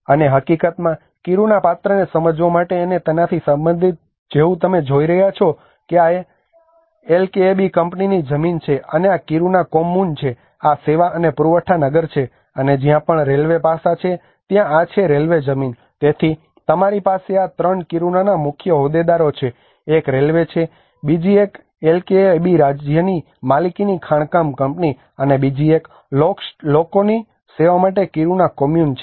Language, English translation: Gujarati, And in fact there also to understand the Kiruna character and the belonging of it like you can see this is the LKAB company land, and this is the Kiruna Kommun this is the service and the supply town and wherever the railway aspect is there this is the railway land, so you have these 3 are the major stakeholders of the Kiruna one is the railway the other one is the LKAB state owned mining company and the other one is the Kiruna Kommun to serve the people